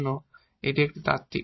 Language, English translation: Bengali, So, this is a little theoretical now